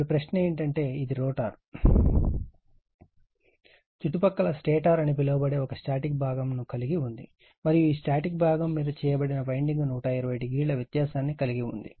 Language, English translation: Telugu, Now, question is that so this is a rotor, surrounded by a static part called rotor and this static part that winding are placed 120 degree apart right